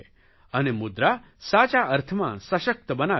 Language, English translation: Gujarati, MUDRA will empower in the truest sense